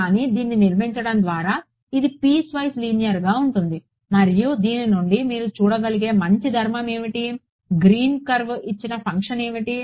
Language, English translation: Telugu, So, by constructing this it is piecewise linear and what is the nice property that you can see coming out of this, the function given by the green curve is